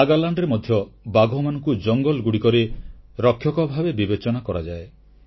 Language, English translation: Odia, In Nagaland as well, tigers are seen as the forest guardians